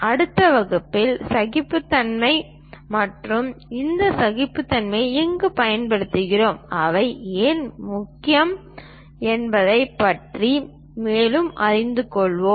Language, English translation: Tamil, In the next class, we will learn more about tolerances and where we use these tolerances, why they are important